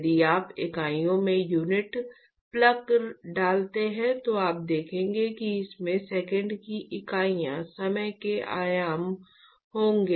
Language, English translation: Hindi, In fact, if you put down the units plug in the units you will see that this will exactly have the units of seconds, dimensions of time